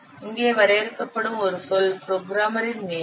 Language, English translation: Tamil, Then another what term will define here, that is the programmer's time